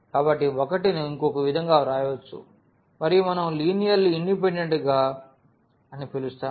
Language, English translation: Telugu, So, 1 can be written in terms of the others and that is the case where what we call a linear dependence